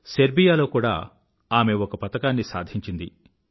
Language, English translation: Telugu, She has won a medal in Serbia too